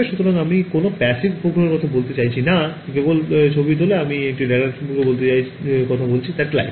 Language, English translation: Bengali, So, I am not talking about a passive satellite which just takes photographs, I am talking about a radar satellite